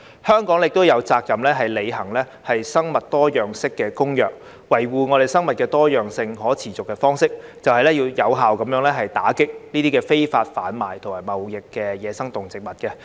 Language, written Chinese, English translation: Cantonese, 香港亦有責任履行《生物多樣性公約》，維護生物多樣性可持續的方式，就是要有效打擊非法販運同貿易野生動植物。, Hong Kong has the obligation to implement the Convention on Biological Diversity . A sustainable way to safeguard biodiversity is to effectively combat illegal trafficking of and trade in wild animals and plants